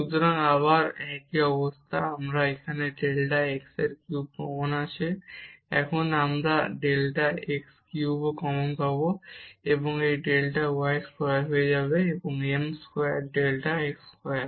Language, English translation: Bengali, So, again the same situation, so here we have then delta x cube common here also we will get delta x cube common and this delta y square will become m square delta x square